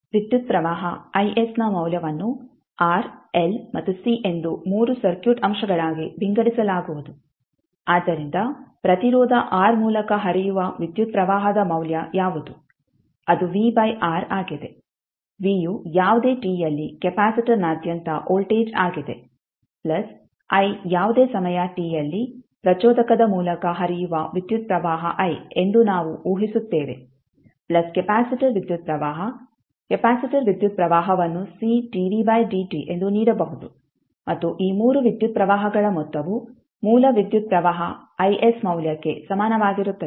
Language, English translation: Kannada, The value of current I s will be divided into 3 circuit elements that is R, L and C so what would be the value of current flowing through resistance R that is V by R, V is nothing but voltage at any t across the capacitor plus i that is the initial we assume that is current i which is flowing through the inductor at any time t plus the capacitor current, capacitor current can be given as C dv by dt and the sum of this 3 currents will be equal to the value of source current that is I s